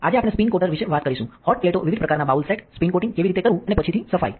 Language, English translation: Gujarati, Today we will be talking about the spin coater itself the hot plates different types of bowl sets, how to do the spin coating and the cleaning afterwards